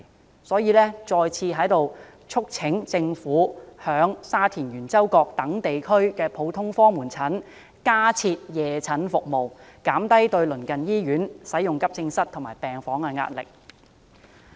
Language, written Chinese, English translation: Cantonese, 我再次在此促請政府在沙田圓洲角等地區的普通科門診診所加設夜診服務，減低對鄰近醫院使用急症室和病房的壓力。, Once again I would like to urge the Government to provide evening consultation services at the general outpatient clinics in places such as Yuen Chau Kok in Sha Tin to ease the pressure on the services of AE wards and medical wards of neighbouring hospitals